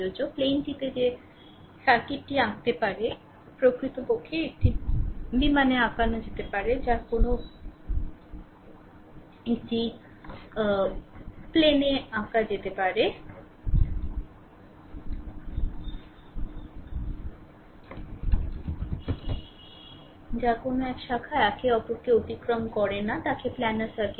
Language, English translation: Bengali, The circuit that can be draw in a plane actually that can be drawn in a plane actually with no branches crossing one another is called planar circuit right